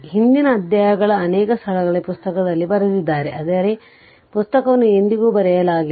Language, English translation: Kannada, So, in the previous chapters many places I have written that in the book, but book was never written right